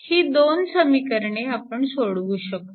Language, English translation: Marathi, When you are solving this equation